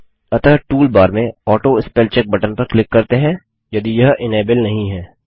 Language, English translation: Hindi, So let us click on the AutoSpellCheck button in the toolbar if it is not enabled